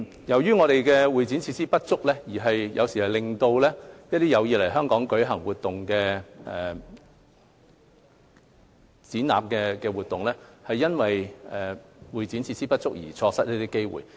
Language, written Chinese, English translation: Cantonese, 由於本港的會展設施不足，有時候令到一些有意在港舉行的展覽活動，因為會展設施不足而錯失機會。, Due to the shortage of CE facilities in Hong Kong at times some exhibitions intended to be held in Hong Kong are unable to do so